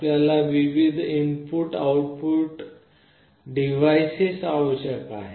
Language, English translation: Marathi, You require various other input output devices